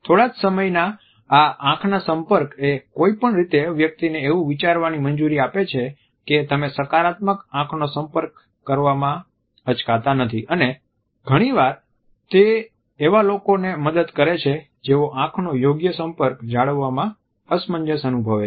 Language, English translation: Gujarati, For whatever reason this fraction of seconds of eye contact allows a person to think that you are not hesitant in making a positive eye contact and often it helps those people who feel awkward in maintaining a proper eye contact